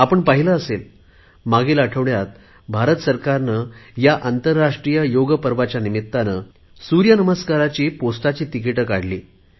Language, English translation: Marathi, You must have seen that last week the Indian government issued a postage stamp on 'Surya Namaskar' on the occasion of International Yoga Day